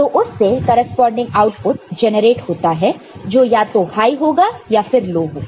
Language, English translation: Hindi, And the corresponding output is also generated which is either low or this is high